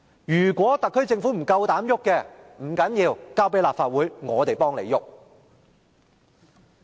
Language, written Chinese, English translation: Cantonese, 如果特區政府不敢碰它，可由立法會代勞。, If the SAR Government dares not to touch it the Legislative Council can do the job for it